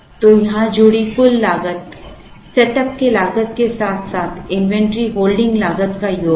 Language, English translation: Hindi, So, the total cost associated here, is the sum of the setup costs as well as the sum of the inventory holding costs